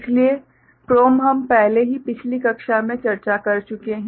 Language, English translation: Hindi, So, PROM we have already discussed in the previous class